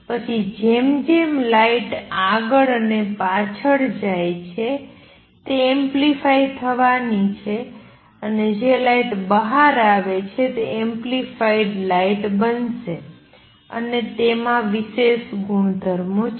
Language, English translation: Gujarati, Then as light goes back and forth it is going to be amplified and the light which comes out is going to be that amplified light and these have special properties